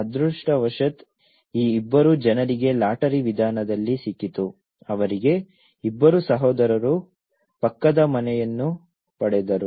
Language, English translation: Kannada, Fortunately, these two people got in a lottery method, they got two brothers got an adjacent house